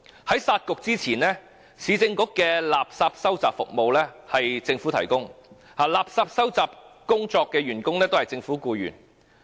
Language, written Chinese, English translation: Cantonese, 在"殺局"前，市政局的垃圾收集服務由政府提供，垃圾收集員工均為政府僱員。, Before the scrapping of both Municipal Councils the refuse collection service of the Urban Council was provided by the Government and refuse collection workers were all employees of the Government